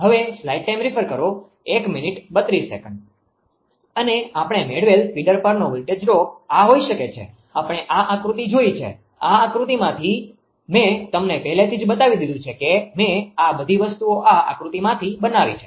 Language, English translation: Gujarati, And this is the voltage drop to the feeder can be this we have got, we have seen this diagram, from this diagram we have already shown you that I have made it all this things from this diagram